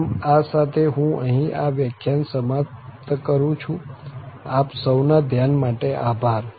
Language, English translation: Gujarati, So, with this, I end this lecture and then I thank you for your attention